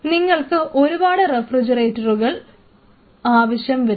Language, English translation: Malayalam, Because you will be needing multiple refrigerators